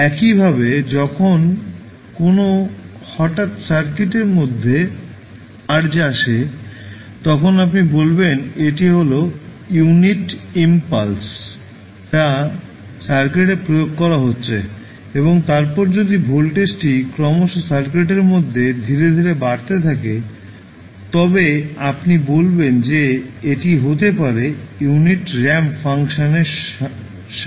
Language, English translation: Bengali, Similarly, when there is a sudden search coming into the circuit, then you will say this is the unit impulse being applied to the circuit and then if the voltage is building up gradually to the in the circuit then, you will say that is can be represented with the help of unit ramp function